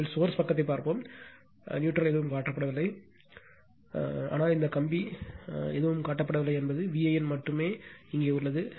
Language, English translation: Tamil, First let us see the source side no neutral nothing is shown, but that this wire nothing is shown only V a n is here